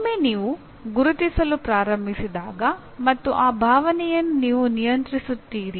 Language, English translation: Kannada, Once you start recognizing and then you control that emotion